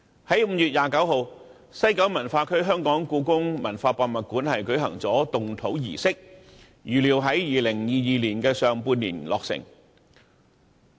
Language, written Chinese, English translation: Cantonese, 在5月29日，西九文化區的香港故宮文化博物館舉行了動土儀式，預料在2022年的上半年落成。, On 29 May the ground - breaking ceremony of the Hong Kong Palace Museum at WKCD was held . It is expected that the museum will be completed in the first half of 2022